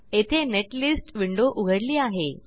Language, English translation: Marathi, Here the netlist window opens